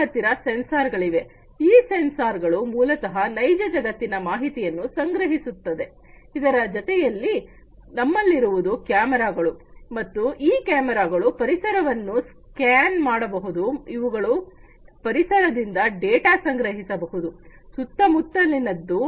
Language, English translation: Kannada, We have sensors; these sensors basically are the ones that gather real world information, then we have also the cameras and these cameras they scan the environment, they collect the data from the environment, from the surroundings